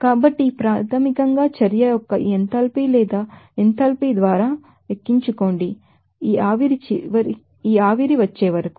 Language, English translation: Telugu, So, this is basically opt in by this enthalpy or enthalpy of the reaction and until we have this vaporization